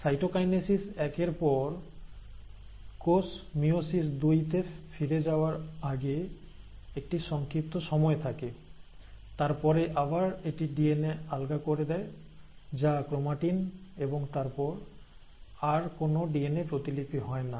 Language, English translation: Bengali, Now after cytokinesis one, there is a brief period before which the cell again goes back to meiosis two, and then again, it just loosens up the DNA, which is the chromatin, and then, immediately, there is no more further DNA replication now